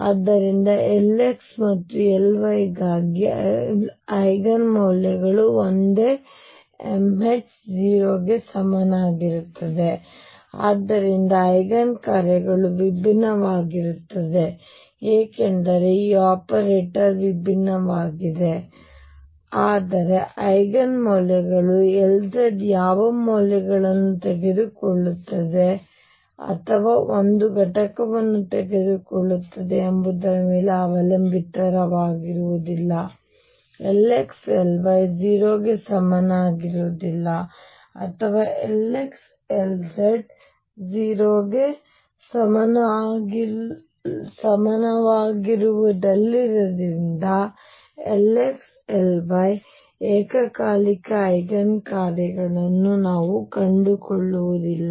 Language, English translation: Kannada, So, Eigen values for L x and L y will also be same m h cross m equals 0 plus minus 1 and so on except that the Eigen functions would be different because now the operator is different, but the Eigen values cannot depend what value L z takes or a component takes is the same the only thing that happens is now because L x L y is not equal to 0 or L x L z is not equal to 0 therefore, I cannot find simultaneous Eigen functions of L x L y and L z